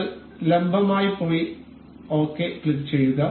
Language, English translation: Malayalam, We will go to perpendicular and click ok